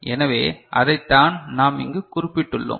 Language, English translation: Tamil, So, that is what we have mentioned here